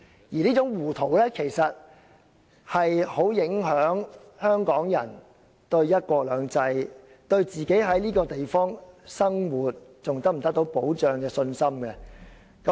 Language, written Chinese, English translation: Cantonese, 而這種糊塗，其實很影響香港人對"一國兩制"、對自己在這個地方生活是否仍然得到保障的信心。, Actually the confidence of Hong Kong people in one country two systems and whether they still enjoy protection for living in this place will be profoundly affected